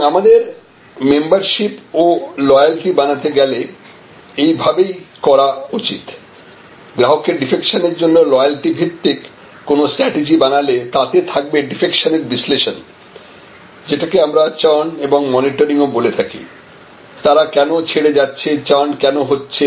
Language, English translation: Bengali, And that is, how we should to create this membership and loyalty a loyalty based program strategies for customer defection will include analyzing customer defection, which we also called churn and monitoring, why they are leaving, why the churn is happening